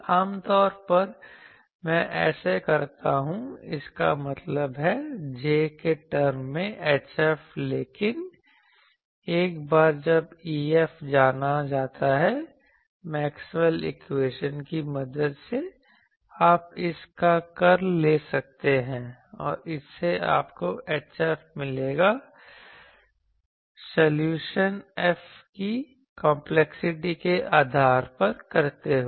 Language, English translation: Hindi, Usually I do this; that means, H F in terms of j, but once E F is known with the help of Maxwell’s equation also you can take the curl of this and that will give you H F, either of that people do depending on complexity of the solution F at hand